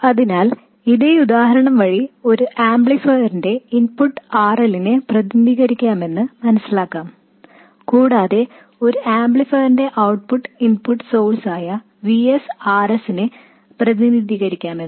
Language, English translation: Malayalam, So, the same example holds the input of an amplifier could represent RL and the output of an amplifier could represent the input source Vs RS